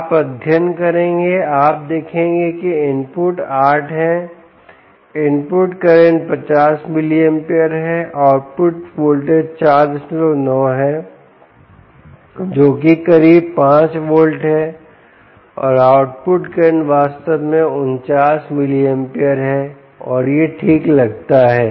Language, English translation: Hindi, you will see that input is eight, the input current is a fifty milliamperes, output voltages is four point nine, thats close five volts, and the output current, indeed, is forty nine milliamperes and ah